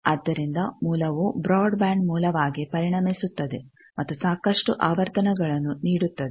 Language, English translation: Kannada, So, the source becomes a broadband source and gives lot of frequencies